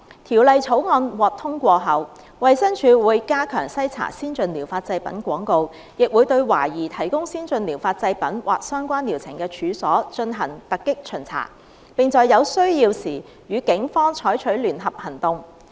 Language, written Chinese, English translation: Cantonese, 《條例草案》獲通過後，衞生署會加強篩查先進療法製品廣告，亦會對懷疑提供先進療法製品或相關療程的處所，進行突擊巡查，並在有需要時與警方採取聯合行動。, Upon passage of the Bill DH would enhance screening of ATP advertisements and conduct unannounced inspections and launch joint operations with the Police as necessary against premises suspected of providing ATPs or relevant treatments